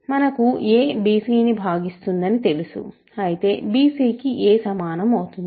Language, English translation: Telugu, We know that a divides bc, of course, a is equal to bc